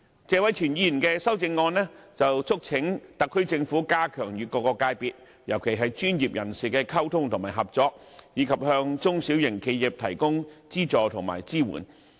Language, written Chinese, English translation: Cantonese, 謝偉銓議員的修正案促請特區政府加強與各界別，特別是專業人士的溝通和合作，以及向中小型企業提供資助和支援。, Mr Tony TSE in his amendment urges the Special Administrative Region SAR Government to strengthen communication and cooperation with various sectors especially professionals and provide small and medium enterprises with financial assistance and support